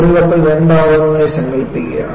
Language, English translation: Malayalam, Imagine a ship breaking into 2